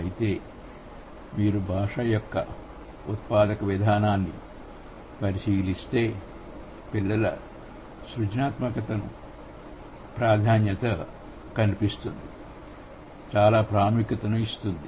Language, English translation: Telugu, However, if you look at the generativist approach of language, it does give a lot of emphasis or it emphasizes on the creativity of children